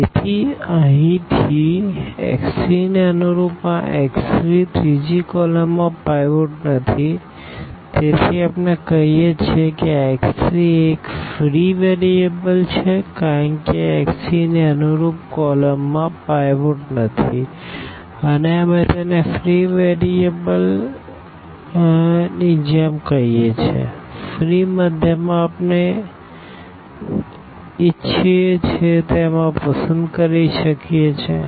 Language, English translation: Gujarati, So, here since this x 3 corresponding to the x 3 the third column does not have a pivot, we call that this x 3 is a free variable because corresponding to this x 3 the column does not have a pivot and we call this like a free variable; free means we can choose this as we want